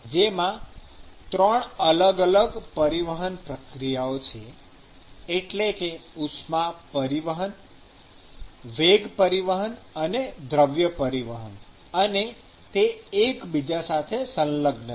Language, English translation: Gujarati, There are 3 different transport processes, that is, heat transport, momentum transport and mass transport; and they are analogous to each other